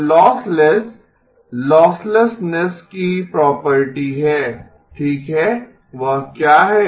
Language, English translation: Hindi, So lossless the property of losslessness okay what is that